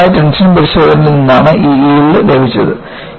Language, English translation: Malayalam, And, this yield strength was obtained from a simple tension test